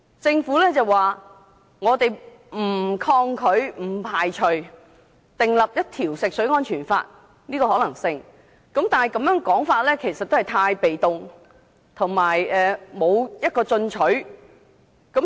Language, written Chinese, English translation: Cantonese, 政府表示，不抗拒及不排除訂立一套食水安全法的可能性，但這個說法過於被動，不夠進取。, The Government has advised that it would neither oppose nor rule out the possibility of formulating a set of drinking water safety legislation . However such statement is too passive and not aggressive enough